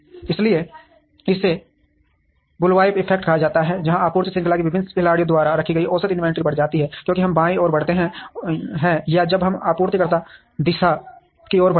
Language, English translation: Hindi, So, this is called the bullwhip effect, where the average inventory held by various players in the supply chain increases as we move towards the left or as we move towards the supplier direction